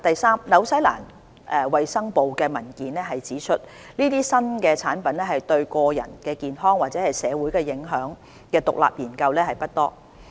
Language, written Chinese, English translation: Cantonese, 三新西蘭衞生部的文件指出，有關這些新產品對個人健康或社會影響的獨立研究不多。, 3 As stated in the documents of the Ministry of Health of New Zealand there are not many independent studies on the impact of these new products on personal health or society